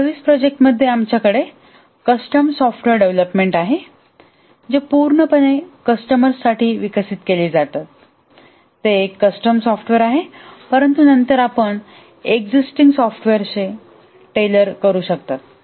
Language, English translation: Marathi, And in the services project we have custom software development, develop entirely for a customer, or it's a custom software but then you tailor an existing software